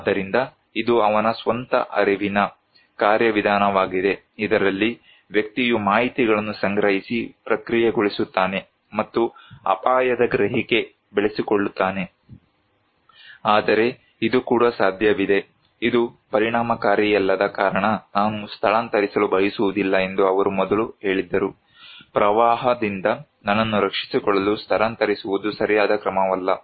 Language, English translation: Kannada, So, this is his own cognitive mechanism, in which individual collect and process informations and develops the perception of risk, but it is also possible that, he first said that I do not want to evacuate because this is not effective, evacuation is not a right measure to protect myself from flood